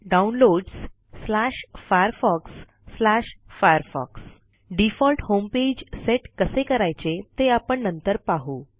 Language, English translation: Marathi, ~ /Downloads/firefox/firefox We will see how to set up the default homepage later